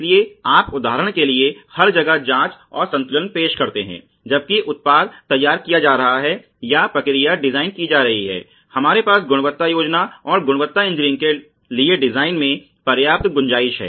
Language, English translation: Hindi, So, you introduce checks and balance everywhere for example, in the while the product is being designed or the process is being designed, we have to have enough scope in the design for quality planning and quality engineering ok